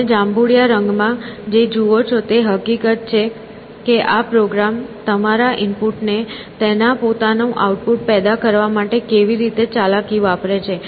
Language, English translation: Gujarati, And, what you see in purple is the fact that how this program is manipulating your input into generating its own output essentially